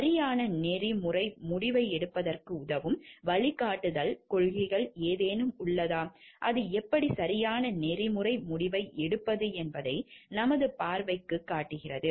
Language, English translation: Tamil, Are there any guiding principles which will help us to take a proper ethical decision, which show our view how to take a proper ethical decision